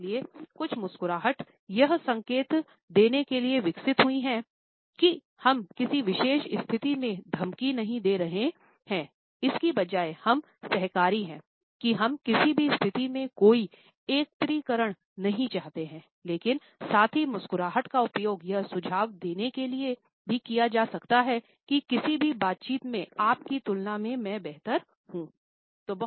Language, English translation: Hindi, So, some smiles have evolved to signal that we are not being threatening in a particular situation rather we are being co operative, that we do not want any aggregation in a situation, but at the same time the smile can also be used to suggest “well I am better than you in any given interaction”